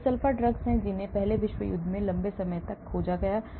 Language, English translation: Hindi, these are sulpha drugs which were discovered long time back after the First World War